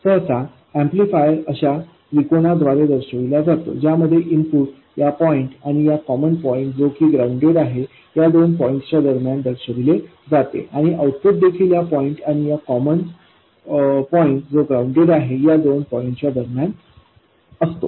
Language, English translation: Marathi, An amplifier is usually represented by a triangle like this with an input between this point and the common point which is ground and an output which is also between this point and a common point which is ground